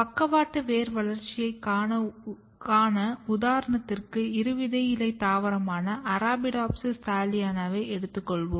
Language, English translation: Tamil, So, we will take here example of root lateral root development and mostly in model dicot plant Arabidopsis thaliana